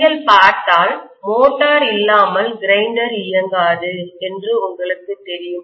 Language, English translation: Tamil, If you look at, you know mixer grinder, without motor, it will not work